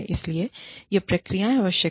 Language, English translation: Hindi, So, that is why, these procedures are necessary